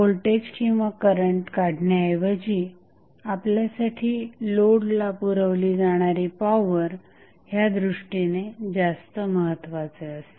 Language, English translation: Marathi, So, rather than finding out the voltage and current we are more concerned about the power which is being supplied to the load